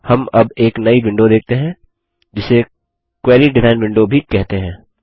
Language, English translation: Hindi, For now, let us see the bottom half of the Query design window